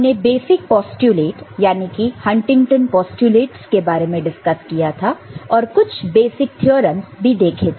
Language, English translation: Hindi, We discussed basic postulates Huntington postulates we discussed and some basic theorems